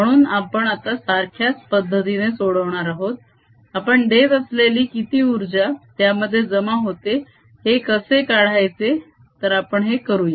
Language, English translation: Marathi, so we are going to do a similar calculation now to find out how much energy do we supply that is stored